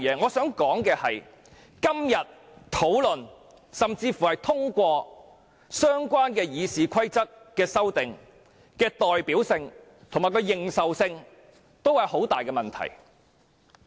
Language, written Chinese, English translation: Cantonese, 我想指出的是，今天如討論甚至通過對《議事規則》的相關修訂，在代表性及認受性方面均會出現很大問題。, What I wish to point out is that if we discuss or even pass the relevant amendments to RoP today there will be great problems with their representativeness and recognition